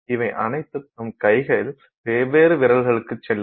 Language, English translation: Tamil, Each going to a different finger in your hand